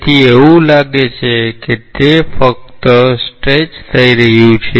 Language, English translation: Gujarati, So, it is as if just it is getting stretched